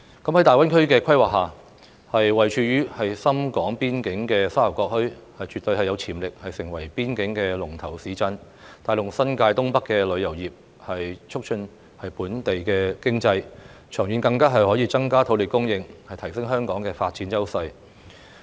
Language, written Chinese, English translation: Cantonese, 在大灣區規劃下，位處深港邊界的沙頭角墟，絕對有潛力成為邊境龍頭市鎮，帶動新界東北的旅遊業，促進本地經濟，長遠更可增加土地供應，提升香港的發展優勢。, Under the planning of GBA as the Sha Tau Kok Town is located at the Shenzhen - Hong Kong border it definitely has the potential for development into a major border town and it may also promote the tourism industry of the Northeast New Territories boosting the local economy and increasing land supply in the long run thereby enhancing Hong Kongs development edge